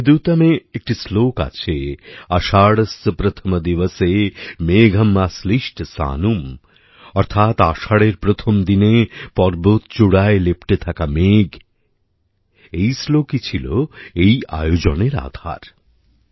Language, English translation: Bengali, There is a verse in Meghdootam Ashadhasya Pratham Diwase, Megham Ashlishta Sanum, that is, mountain peaks covered with clouds on the first day of Ashadha, this verse became the basis of this event